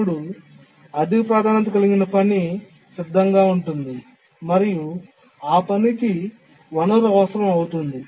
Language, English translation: Telugu, So, the high priority task is ready and needs the resource actually